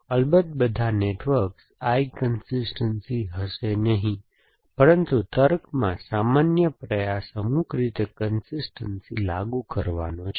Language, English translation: Gujarati, So, of course not all networks will be I consistence, but the general effort in reasoning is to enforce consistency in some manner essentially